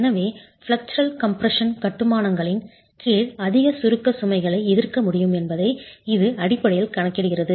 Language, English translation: Tamil, So, it basically accounts for the fact that, under flexial compression, masonry should be able to contract higher compression loads